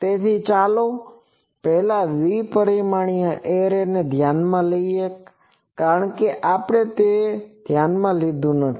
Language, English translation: Gujarati, So, first let us consider a two dimensional array, because we have not sorry we have not considered that